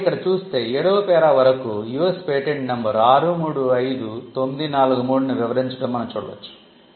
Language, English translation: Telugu, So, till para 7, what was described was and you can see here US patent number 635943